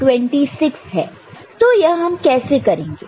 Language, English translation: Hindi, So, here how do